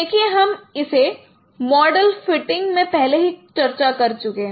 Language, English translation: Hindi, See, we have already discussed in model fitting